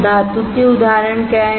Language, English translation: Hindi, What are examples of metal